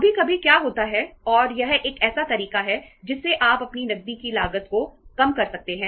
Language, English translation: Hindi, Sometimes what happens and this is a the way you can say reduce the cost of your cash